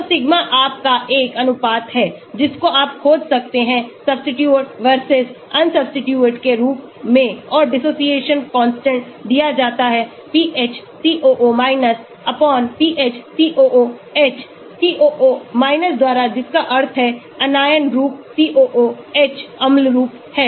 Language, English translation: Hindi, So, sigma is a ratio of you can find out the substituted versus unsubstituted and the dissociation constant is given by PhCOO /PhCOOH COO means Anion form COOH is the acid form